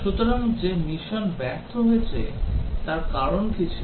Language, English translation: Bengali, So, that the mission failed, what was the reason